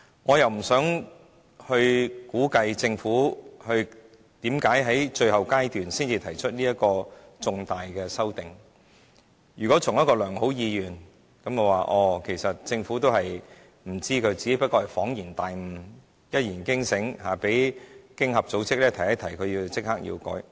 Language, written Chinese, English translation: Cantonese, 我不想估計政府為何在最後階段才提出如此重大的修訂，如果從一個良好的意願，政府都不知道，只是恍然大悟、一言驚醒，被經合組織提醒後就立即修改。, I am reluctant to guess why the Government has not put forward such a substantial amendment until the final stage of our scrutiny work . Perhaps it is out of good intentions . The Government was originally unaware of the OECD requirement